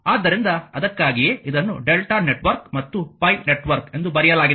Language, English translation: Kannada, So, that is why it is written delta network and this pi network